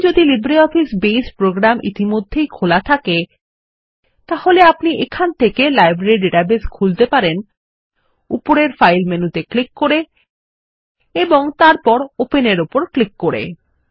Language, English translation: Bengali, Now, if LibreOffice Base program is already open, we can open the Library database from here, By clicking on the File menu on the top and then clicking on Open